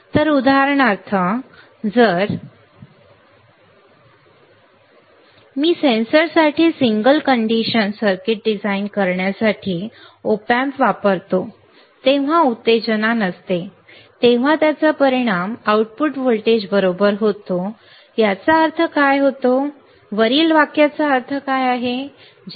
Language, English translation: Marathi, So, for example, if I use an op amp for designing a single condition circuit for a sensor, when no stimulus, it results in an output voltage correct that what does this mean, what does the above sentence means